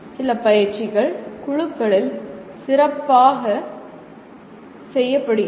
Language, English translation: Tamil, Some exercises are best done in groups